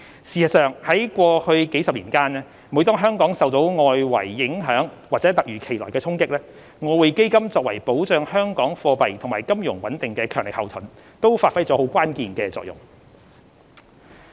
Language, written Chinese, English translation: Cantonese, 事實上，過去數十年間，每當香港受到外圍影響或突如其來的衝擊，外匯基金作為保障香港貨幣及金融穩定的強力後盾，都發揮了關鍵性的作用。, In fact EF has served the key role in providing a buttress for safeguarding Hong Kongs monetary and financial stability in face of external shocks or unexpected blows in the past decades